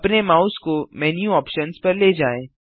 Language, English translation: Hindi, Move your mouse on the menu options